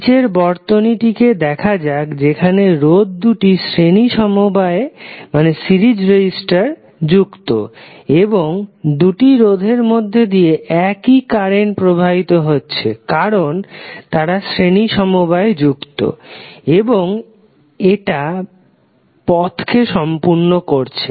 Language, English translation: Bengali, Let us see the circuit below where two resistors are connected in series and the same current is flowing through or both of the resistors because those are connected in the series and it is completing the loop